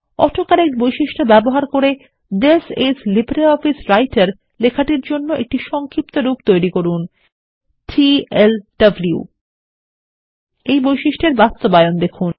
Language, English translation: Bengali, Using the AutoCorrect feature, create an abbreviation for the text This is LibreOffice Writer as TLWand see its implementation